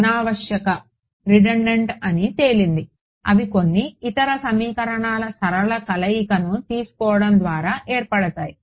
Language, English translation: Telugu, Redundant they are just formed by taking a linear combination of some of the other equations